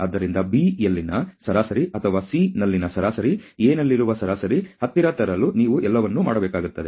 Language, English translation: Kannada, So, you will have to do everything possible to bring the B the mean at B or the mean at C close to the mean at A ok